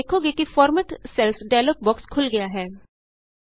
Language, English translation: Punjabi, You see that the Format Cells dialog box opens